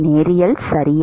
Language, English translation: Tamil, Is it linear